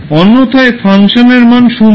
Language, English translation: Bengali, Otherwise, the function value is 0